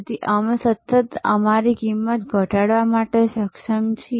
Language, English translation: Gujarati, So, that we are constantly able to reduce our cost